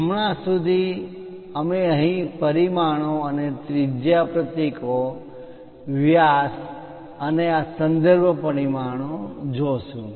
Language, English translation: Gujarati, As of now we will look at here dimensions and radius symbols, diameters and these reference dimensions